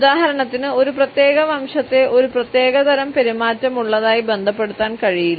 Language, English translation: Malayalam, For example, we cannot associate a particular race as having a certain type of a behaviour